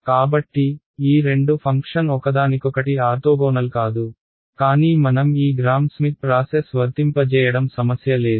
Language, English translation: Telugu, So, these two functions are not orthogonal to each other, but there is no problem I can apply this Gram Schmidt process